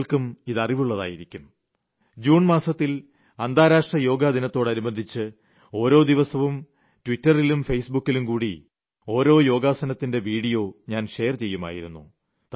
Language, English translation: Malayalam, And you probably know that, during the month of June, in view of the International Yoga Day, I used to share a video everyday of one particular asana of Yoga through Twitter and Face Book